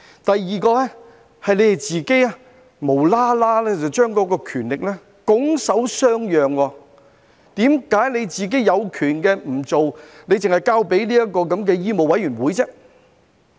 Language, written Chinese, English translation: Cantonese, 第二，政府無故把權力拱手相讓，為何自己有權也不去做，只是交給醫務委員會呢？, Second the Government has given away its power for no reason . Why has it not handled the matter even though it has the power to do so but just handed it over to the Medical Council of Hong Kong MCHK instead?